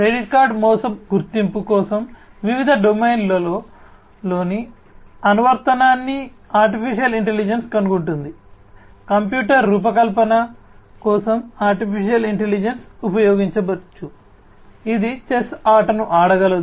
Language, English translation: Telugu, AI finds the application in different domains in for credit card fraud detection AI could be used, AI could be used for designing a computer, which can play the game of chess